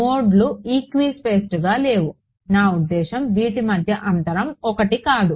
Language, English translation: Telugu, No the nodes are not equispaced, I mean they are not spaced by 1